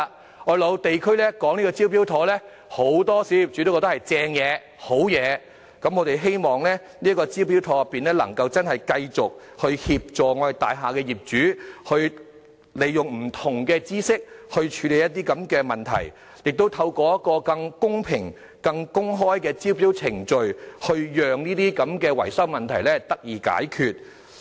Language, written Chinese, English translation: Cantonese, 當我落區解釋"招標妥"計劃時，很多小業主都認為是好東西，我們希望"招標妥"能繼續協助大廈業主，利用不同的專業知識處理這些問題，亦透過一個更公平、更公開的招標程序，讓這些維修問題得以解決。, When I visit various districts to explain the Smart Tender scheme many small property owners consider the scheme desirable . Hence we hope that the Smart Tender scheme will continue to offer assistance to property owners handle these issues with professional knowledge and use fairer and more open tendering procedures to resolve these maintenance problems